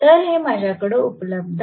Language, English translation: Marathi, So, these are available with me